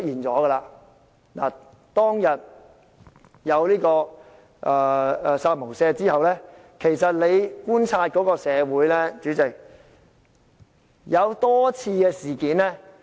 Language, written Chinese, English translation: Cantonese, 主席，當天出現"殺無赦"言論後，其實社會已發生多次事件......, President a number of incidents have happened in society following the killing without mercy remark